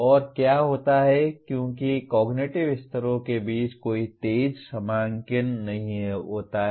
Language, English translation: Hindi, And what happens as there is no sharp demarcation between cognitive levels